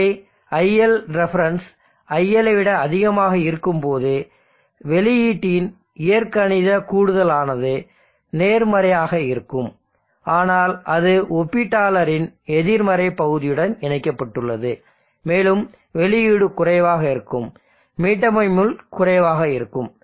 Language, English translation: Tamil, iLref is higher than iL this is iLref which is higher than iL, so when iLref is higher than iL the output this algebraic summer will be positive but that is connected to the negative of the comparator and the output will be low, the reset pin will be low no change on Q